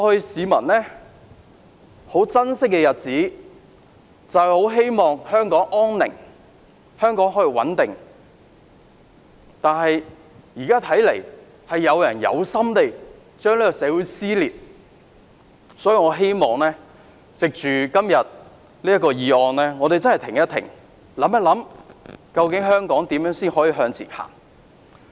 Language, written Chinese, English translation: Cantonese, 市民很珍惜過去的日子，希望香港可以安寧穩定，但現在看來，有人存心撕裂香港社會，所以我希望藉着今天這項議案，我們真的停一停，想一想，究竟香港要如何往前走？, Members of the public cherish the days in the past and they hope that Hong Kong will be peaceful and stable . Yet it seems that some people are deliberately ripping Hong Kong society apart . Hence I hope that we can through discussing this motion today stop and think how Hong Kong should move forward